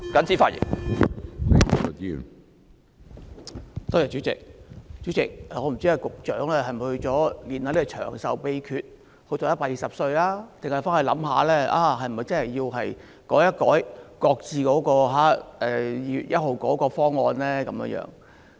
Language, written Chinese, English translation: Cantonese, 主席，我不知道局長回去會否修煉長壽的秘訣，希望活到120歲，還是會想一想是否真的須作出修改，擱置2月1日的方案。, President I wonder if the Secretary is going to hone his secret craft of achieving longevity on going back in the hope of living to 120 years old or if he will think about whether or not it is really necessary to change course by shelving the proposal to be implemented on 1 February